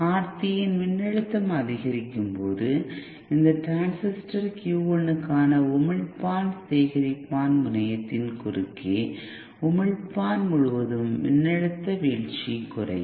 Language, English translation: Tamil, If the voltage across R3 increases, then the voltage drop across emitter here across the emitter collector terminal for this transistor Q 1 will reduce